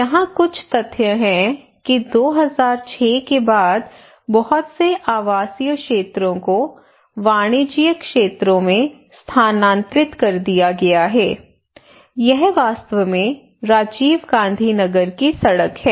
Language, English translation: Hindi, Now here are some of the facts that in 2006 after 2006 lot of residential areas this is actually a road this is one of the fraction of the Rajiv Gandhi Nagar, many are transferred into commercial areas